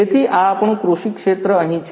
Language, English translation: Gujarati, So, this is our agricultural field over here